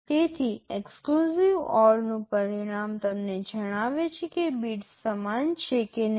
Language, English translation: Gujarati, So, the result of an exclusive OR will tell you whether the bits are equal or not equal